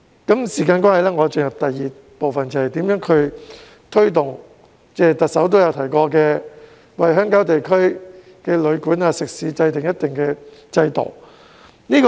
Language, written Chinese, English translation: Cantonese, 由於時間關係，我進入第二部分，便是如何推動特首曾提及的為鄉郊地區的旅館和食肆制訂一套制度。, Due to time constraint I now move on to the second part which concerns ways to promote the formulation of a system for guesthouses and catering businesses in countryside areas as mentioned by the Chief Executive